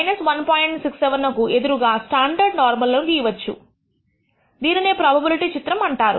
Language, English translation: Telugu, 67 against the standard normal contact and that is what is called the probability plot